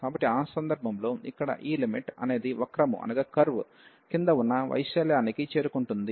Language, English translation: Telugu, So, in that case this limit here will approach to the area under the curve